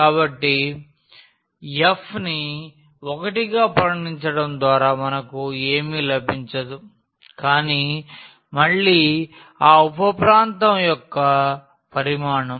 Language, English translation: Telugu, So, by considering this f as 1 we will get nothing, but the volume of that sub region again